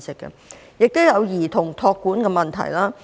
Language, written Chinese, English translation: Cantonese, 他們也有兒童託管的問題。, They also have problem in getting child care services